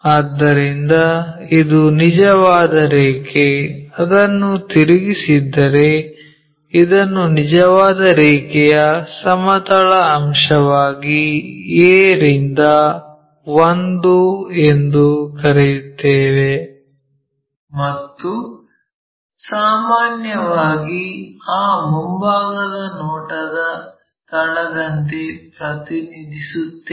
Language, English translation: Kannada, So, this is the true line, if we have rotated that whatever a to 1 that, we will call this one as horizontal component of true line and usually we represent like locus of that front view